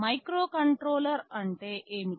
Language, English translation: Telugu, What is a microcontroller